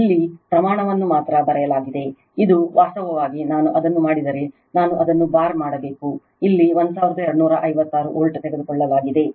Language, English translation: Kannada, Only magnitude written here, this is actually if I make it, I should make it bar taken here 1256 volt right